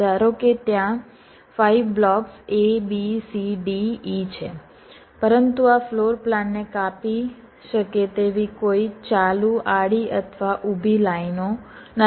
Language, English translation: Gujarati, suppose there are five blocks a, b, c, d, e but there is no continues horizontal or vertical lines that can slice this floorplans